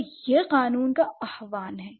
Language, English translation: Hindi, So, that is the invoking a law, right